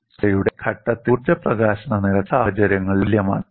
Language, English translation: Malayalam, At the point of crack instability, the energy release rate is same in both the cases